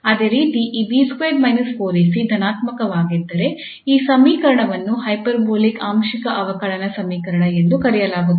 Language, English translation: Kannada, Similarly, if this B square minus 4 AC is positive then this equation is called hyperbolic partial differential equation